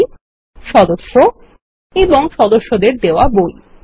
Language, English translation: Bengali, Books, Members and Issue of Books to Members